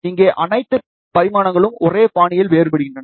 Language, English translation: Tamil, Here all the dimensions vary in the same fashion